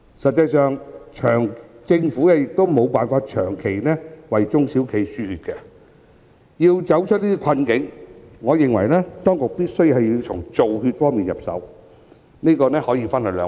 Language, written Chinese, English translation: Cantonese, 實際上，政府亦無法長期為中小企"輸血"，要走出困境，我認為當局必須從"造血"方面入手，這可分為兩步。, What is more SMEs do not know when the harsh time will end and as a matter of fact the Government cannot undergo a blood transfusion for SMEs long term . To get out of the plight I think the authorities should start from blood formation which entails two steps